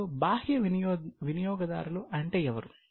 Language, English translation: Telugu, Now, who can be external users